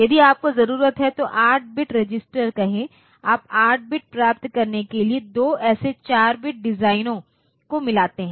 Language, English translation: Hindi, And then we are getting the corresponding circuit done and if you need say 8 bit registered you takes two such 4 bit designs combine them to get 8 bit